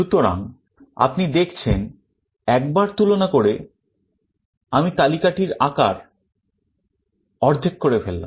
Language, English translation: Bengali, So, you see in one comparison I have reduced the size of the list to half